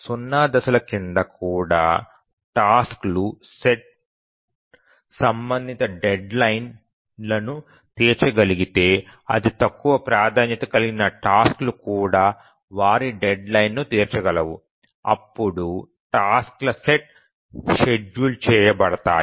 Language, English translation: Telugu, But even under zero phasing, if the task set is able to meet the respective deadlines, even the lowest tasks, lowest priority tasks are able to meet their deadlines, then the tasks set will be schedulable